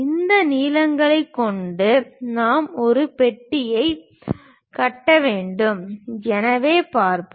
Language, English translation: Tamil, With these lengths we have to construct a box, so let us see